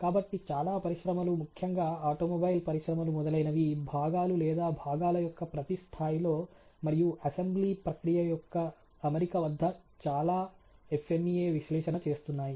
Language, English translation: Telugu, So, most of the industries particularly the automobile industries etcetera very much into doing FMEA analysis and every level of the parts or components and also the fitment as regards the assembly process